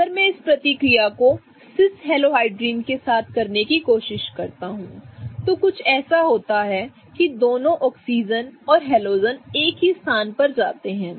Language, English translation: Hindi, If I try doing this reaction with a cis halohydrin, something like this where both the oxygen as well as the halogen are going in the same place, I can never have a confirmation like this